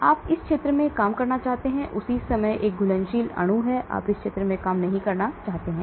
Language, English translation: Hindi, So you want to work in this region at the same time have a soluble molecule, you do not want to work in this region